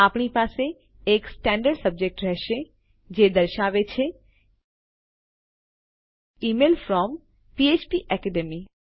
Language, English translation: Gujarati, We will have a standard subject which says Email from PHPAcademy